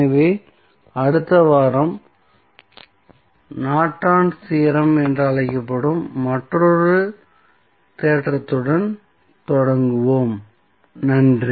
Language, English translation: Tamil, So, next week we will start with another theorem which is called as Norton's Theorem, thank you